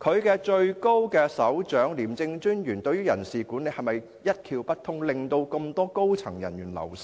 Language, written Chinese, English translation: Cantonese, 廉署的首長廉政專員對於人事管理是否一竅不通，令如此多高層人員流失呢？, Is it right to say that the ICAC Commissioner as the head of ICAC knows nothing about personnel management thus leading to a high wastage of senior personnel?